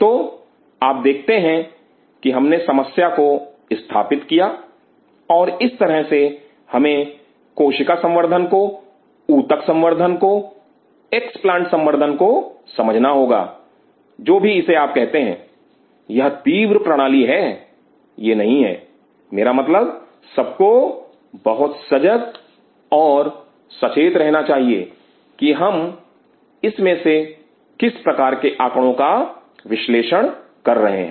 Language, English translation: Hindi, So, you see we open up a problem and this is how we have to understand that cell culture, tissue culture, explants culture whatever you call it, these are acute systems these are not I mean one has to be very cautious and careful that what kind of data are we interpreting out of it